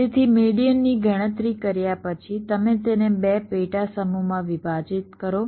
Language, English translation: Gujarati, the idea is as follows: so after calculating the median, you divide it up into two subsets